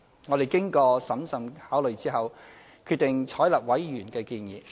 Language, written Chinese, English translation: Cantonese, 我們經過審慎考慮後，決定採納委員的建議。, After careful consideration we decided to adopt this proposal by members